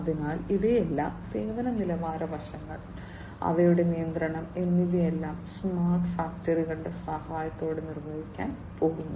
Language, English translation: Malayalam, So, all of these things, the service quality aspects, and the control of them are all going to be performed with the help of smart factories in the smart factory environment